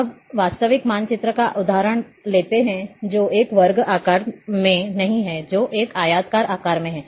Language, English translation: Hindi, Now, let’s take example of real map, which is not in a square shape which is in a rectangular shape